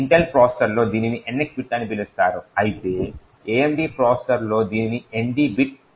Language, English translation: Telugu, On Intel processors this is called as the NX bit while in the AMD processors this is known as the ND bit